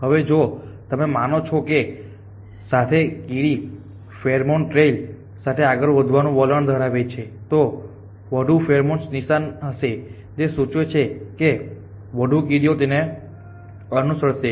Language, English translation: Gujarati, Now, if you assume that that ant has a tendency to move al1 pheromone trail in the more pheromone there is in a kale the more the antive likely to following